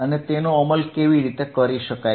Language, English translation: Gujarati, And how it can be implemented